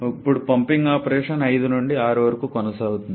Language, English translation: Telugu, Now the pumping operation proceeds from 5 to 6